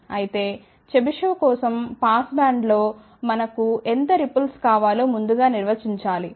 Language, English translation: Telugu, However, for chebyshev we have to first define how much ripple we want in the pass band